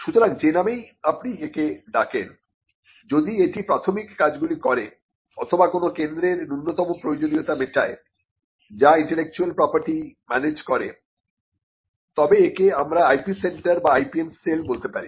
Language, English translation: Bengali, So, no matter what you call it if it qualifies or if it does the preliminary functions or the minimum requirements of a centre that manages intellectual property then we can call it an IP centre or an IPM cell